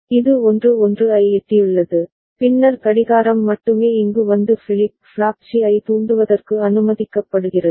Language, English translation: Tamil, It has reached 1 1, then only the clock is allowed to come over here and trigger the flip flop C ok